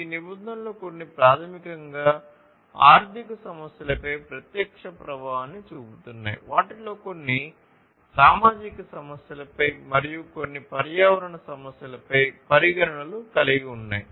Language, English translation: Telugu, Some of these regulations are basically having direct impact on the economic issues, some of them have considerations of the social issues, and some the environmental issues